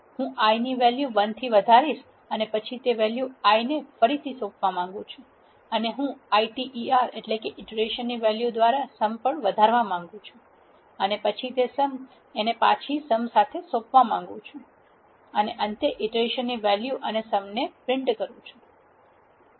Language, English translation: Gujarati, I want to increment the i value by 1 and then reassign it to the value i and I also want to increase the sum by the iter value and then reassign it to sum and then finally, print the iteration value and the sum